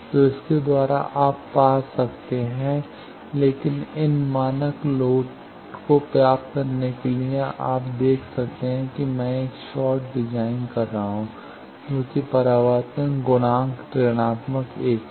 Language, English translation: Hindi, So, by that you can found, but getting these standard loads you see I can design a short I can say that reflection coefficient is minus 1